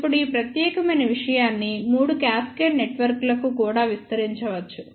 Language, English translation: Telugu, Now, this particular thing can be extended to three cascaded networks also